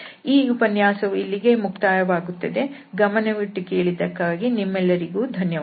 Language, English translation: Kannada, So that is all for this lecture and thank you very much for your attention